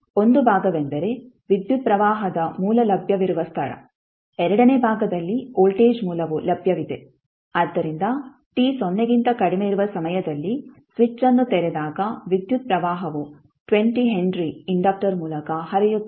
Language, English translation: Kannada, So 1 part is were the current source is available second part were voltage source is available, so at time t less than 0 when the switch is open the current will be flowing through the 20 henry inductor